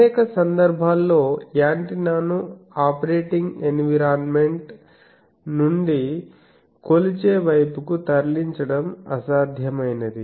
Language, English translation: Telugu, Also in many cases it is impractical to move the antenna from the operating environment to the measuring side